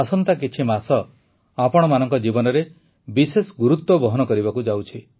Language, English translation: Odia, the coming few months are of special importance in the lives of all of you